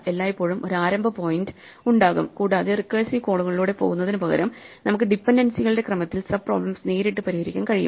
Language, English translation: Malayalam, There will always be a starting point, and we can solve the sub problems directly in the order of the dependencies instead of going through the recursive calls